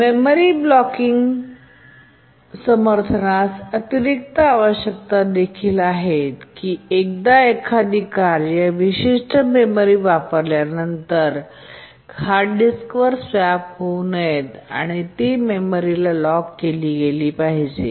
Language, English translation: Marathi, There are additional requirements like memory locking support that once a task uses certain memory, there should not be swapped to the hard disk and so on